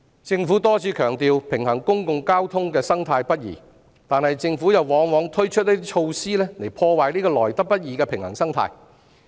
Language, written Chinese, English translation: Cantonese, 政府多次強調平衡公共交通的生態不易，但政府往往推出一些措施破壞這個來得不易的平衡生態。, The Government has stressed many times that it is not easy to maintain a balance among public transport services but it usually introduces some measures that undermine the hard - earned state of balance